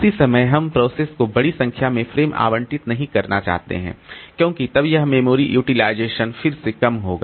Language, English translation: Hindi, At the same time, we do not want to allocate large number of frames to the processes because then this memory utilization will again be low